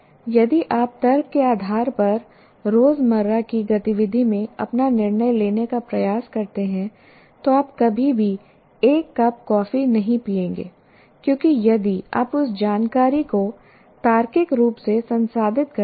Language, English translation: Hindi, If you try to do take your decision in everyday activity based on logic, you will never even drink a cup of coffee because if you logically process that information